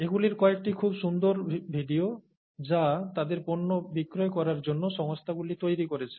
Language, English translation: Bengali, Some of these very nice videos have been made by companies to sell their products